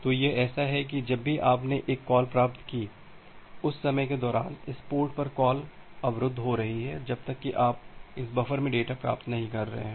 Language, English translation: Hindi, So, it is like that whenever you have made a receive call, during that time the call is getting blocked at this port until you are getting a data in this buffer